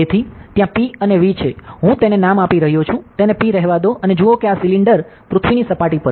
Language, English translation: Gujarati, So, there is P and V, I am just naming it as ok, let it be P and see this cylinder is on the surface of earth